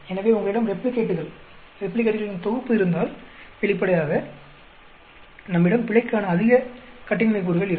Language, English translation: Tamil, So, if you had a replicates, set of replicates, then obviously, we will have more degrees of freedom for error